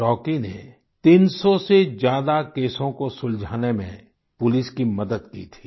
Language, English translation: Hindi, Rocky had helped the police in solving over 300 cases